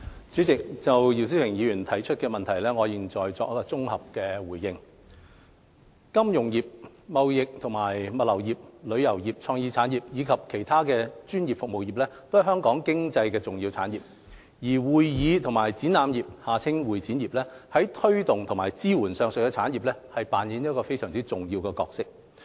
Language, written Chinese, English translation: Cantonese, 主席，就姚思榮議員提出的質詢，我現綜合答覆如下：金融服務業、貿易及物流業、旅遊業、創意產業，以及其他專業服務業，都是香港經濟的重要產業，而會議及展覽業在推動和支援上述產業上扮演重要的角色。, President my consolidated reply to the three parts of the question raised by Mr YIU Si - wing is as follows . Financial services trading and logistics tourism creative industries as well as various professional services are important industries to Hong Kongs economy . The convention and exhibition CE industry plays an important role in promoting and supporting these industries